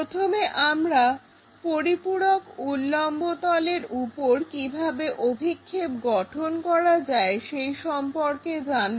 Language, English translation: Bengali, First of all we will learn how to construct projection onto auxiliary vertical plane